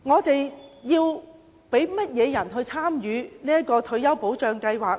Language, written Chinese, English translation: Cantonese, 究竟我們要讓誰參與這項退休保障計劃呢？, Who should be allowed to join this retirement protection scheme?